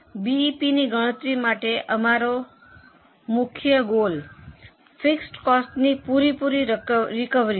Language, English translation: Gujarati, For calculation of BP, our main goal is recovery of fixed costs